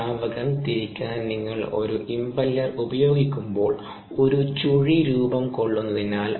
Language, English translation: Malayalam, ah, when you use an impeller to rotate a liquid, there is a vortex that gets formed